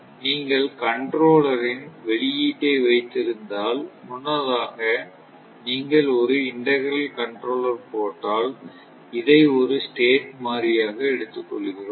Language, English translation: Tamil, If you put output of the controller, earlier, we have seen that if you put integral control, u will not take; we take this as a state variable